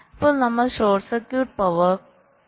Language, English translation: Malayalam, now we look at short circuit power